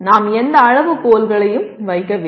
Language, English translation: Tamil, We have not put any criteria